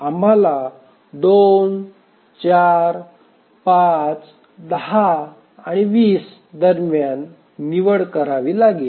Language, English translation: Marathi, So now we have to choose between 2, 4, 5, 10 and 20